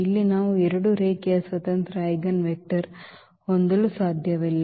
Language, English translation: Kannada, So, here we cannot have two linearly independent eigenvector